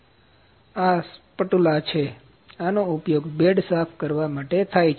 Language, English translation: Gujarati, This is spatula, this is used to clean the bed